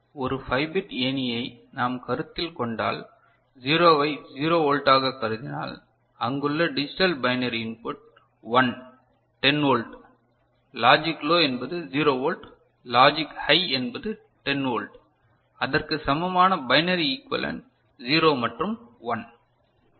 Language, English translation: Tamil, And if we consider a 5 bit ladder, just for an example, and you consider 0 as 0 volt the digital binary input that is there and 1 is 10 logic low is 0 volt, logic high is you know 10 volt corresponding the binary equivalent 0 and 1 ok